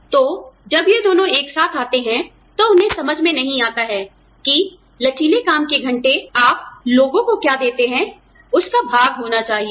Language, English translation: Hindi, So, you know, when we, when these two come together, they do not understand, that flexible working hours are, have to be a part of, what you give to people